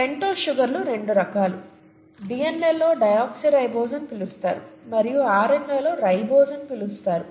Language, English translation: Telugu, The pentose sugars are of two kinds, DNA has what is called a deoxyribose and RNA has what is called a ribose, okay